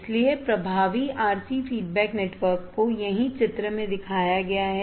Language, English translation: Hindi, So, the effective RC feedback network is shown in figure here right